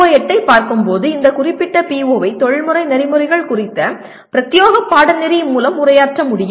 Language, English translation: Tamil, PO8 can be, this particular PO can be addressed through a dedicated course on professional ethics